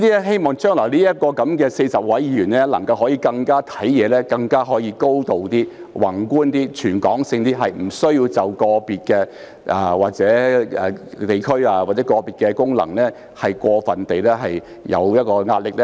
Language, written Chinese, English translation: Cantonese, 希望將來這40位議員考慮事情的時候，能夠更有高度、更加宏觀、更全港性，不需要對個別地區或功能界別過分照顧。, I hope that in the future these 40 Members can take matters into consideration from a higher and more macroscopic perspective in a wider territorial context without overly caring for individual districts or functional constituencies